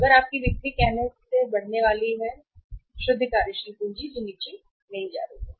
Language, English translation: Hindi, So if your sales are going to increase by sorry this the say net working capital is not going to go down